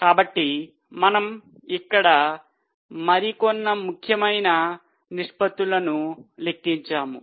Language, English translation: Telugu, Okay, so we have just calculated few important ratios here